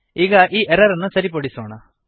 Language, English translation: Kannada, Now Let us fix this error